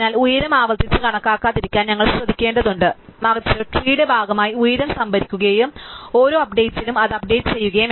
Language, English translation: Malayalam, So, we have to be careful not to compute height recursively, but to store the height as part of the tree and also update that with every update